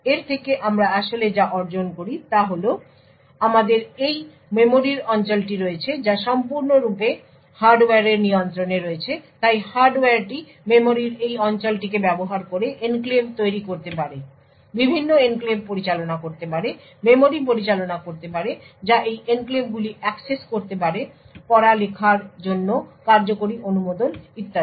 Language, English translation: Bengali, From this what we actually achieve is that we have this region of memory which is completely in the control of the hardware so the hardware could use this region of memory to create enclaves, managed the various enclaves, manage the memory who accesses this enclaves the read write execute permissions for this enclaves and so on